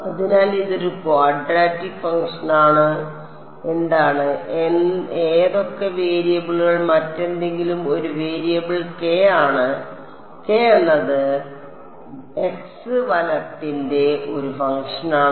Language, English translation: Malayalam, So, this is a quadratic function what and what are the variables U 1 U 2 anything else is a variable k, k is a function of x right